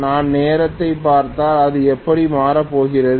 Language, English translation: Tamil, If I look at time this is how it is going to change